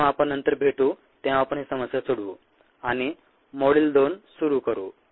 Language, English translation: Marathi, when we meet next, we will solve this problem and start module two